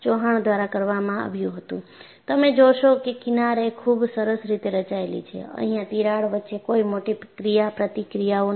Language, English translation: Gujarati, Chauhan, way back and you find the fringes are very nicely formed; and you also find that, there is no major interaction between the cracks here